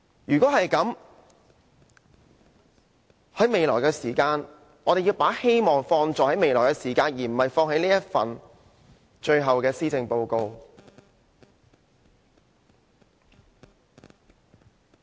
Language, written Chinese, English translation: Cantonese, 如果是這樣的話，我們要把希望放在未來，而不是放在他最後這份施政報告。, If that is the case we have to pin our hopes on the future but not this last Policy Address of his